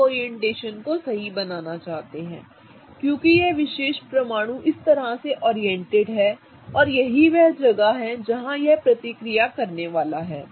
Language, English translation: Hindi, You want to draw the orientation right because that's how the particular atom is oriented and that's where it is going to do the reaction